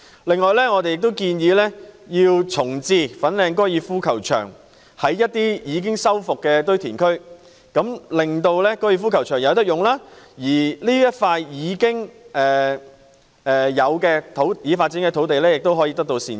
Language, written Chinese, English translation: Cantonese, 另外，我們亦建議在一些已修復的堆填區重置粉嶺高爾夫球場，令大家有高爾夫球場可繼續使用之餘，這塊已開發土地亦可得到善用。, Moreover we also propose the relocation of Fanling Golf Course to some restored landfills so that the golf course will continue to be available for peoples access and such a developed land site can be put to optimal use